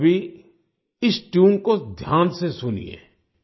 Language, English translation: Hindi, Listen carefully now to this tune